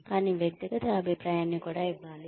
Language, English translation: Telugu, But, individual feedback should also be given